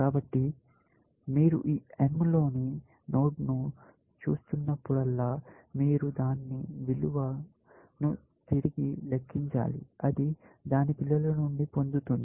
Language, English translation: Telugu, So, whenever you are looking at the node m, node in this m, you must recompute its value, which will get from its children